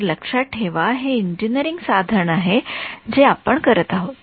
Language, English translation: Marathi, So, remember it is an engineering tool kind of a thing that we are doing